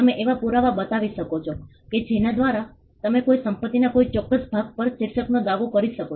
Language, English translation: Gujarati, You could show evidences by which you can claim title to a particular piece of property